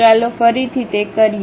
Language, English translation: Gujarati, Let us do that once again